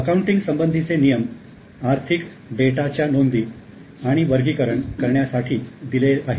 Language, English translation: Marathi, Now, the accounting rules are given for recording and classifying economic data